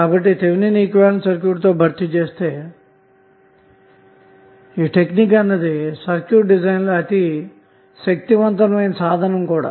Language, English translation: Telugu, So that is why this Thevenin equivalent replacement technique is very powerful tool in our circuit design